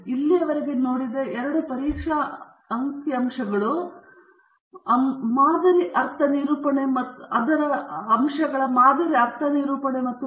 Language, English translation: Kannada, The two test statistics we have seen so far are the sample mean definition and the sample variance